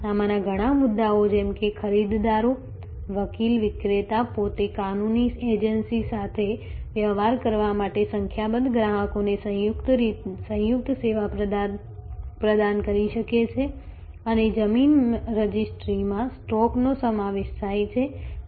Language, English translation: Gujarati, Many of these issues like the buyers, lawyer, the seller themselves may provide a composite service to number of customers to deal with the legal agency and the land registry involves stoke